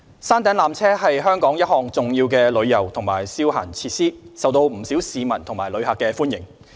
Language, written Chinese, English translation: Cantonese, 山頂纜車是香港一項重要的旅遊及消閒設施，受到不少市民和旅客歡迎。, The peak tramway is an important tourism and recreational facility of Hong Kong popular among many locals and tourists